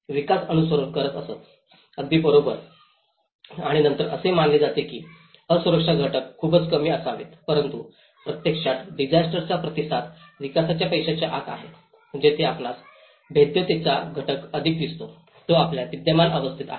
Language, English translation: Marathi, The development used to follow, right and then supposedly, the vulnerability factor should be very less but in reality, the disaster response is within the development aspect, that is where you see the vulnerability factor is more, it is within our existing system